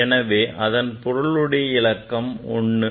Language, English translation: Tamil, So, 3 is having significant figure 1 right